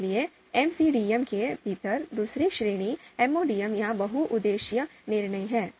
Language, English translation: Hindi, So second category within MCDM is MODM, multi objective decision making